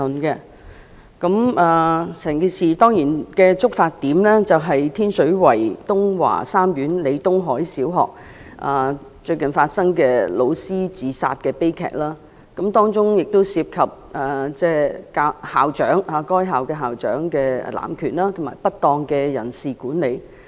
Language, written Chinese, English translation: Cantonese, 當然，整件事的觸發點是最近發生的天水圍東華三院李東海小學教師自殺的悲劇，當中涉及該校校長濫權及不當的人事管理。, Undoubtedly this motion was triggered by a recent tragedy of the suicide of a teacher at Tung Wah Group of Hospitals Leo Tung - hai LEE Primary School in Tin Shui Wai which involves an abuse of power and improper personnel management on the part of the school principal